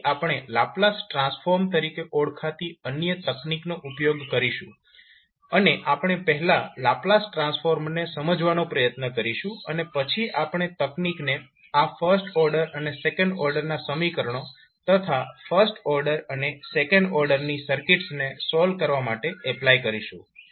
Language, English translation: Gujarati, It is sometimes difficult to solve, so we will use another technic called laplace transform and we will try to understand first the laplace transform and then we will apply the technic to solve this first order and second order equations and first order and second order circuits again